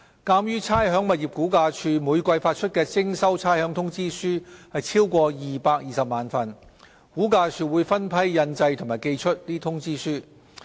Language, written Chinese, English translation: Cantonese, 鑒於差餉物業估價署每季發出的徵收差餉通知書超過220萬份，估價署會分批印製和寄出通知書。, Given that the number of demand notes for rates payment issued by the Rating and Valuation Department RVD exceeds 2.2 million each quarter RVD will print and send the demand notes by batches